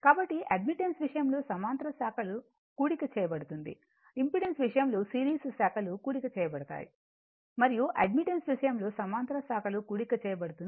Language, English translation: Telugu, So, admittance are added for parallel branches, for branches in series impedance are added and for branches in parallel right admittance are added right